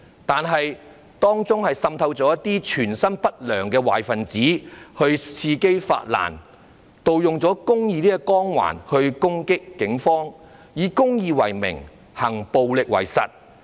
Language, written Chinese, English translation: Cantonese, 但是，當中滲透了一些存心不良的壞分子，伺機發難，盜用了公義這個光環來襲擊警方，以公義為名，行暴力為實。, However some bad elements harbouring ill motives had infiltrated them and waited for opportunities to rise and attack the Police purporting to be crusaders for justice . They claimed to champion the cause of justice but in reality they were just engaging in acts of violence